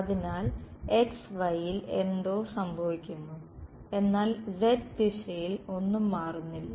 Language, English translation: Malayalam, So, something is happening in xy, but nothing changes in the z direction